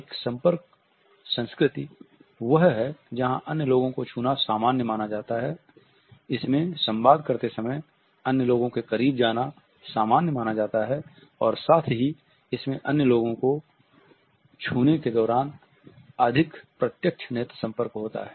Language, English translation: Hindi, A contact culture is one where as it is considered to be normal to touch other people; it is considered to be normal to move closer to other people while communicating and at the same time to have a more direct eye contact while touching other people